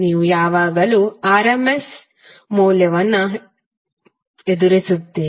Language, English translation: Kannada, You will always encounter the RMS value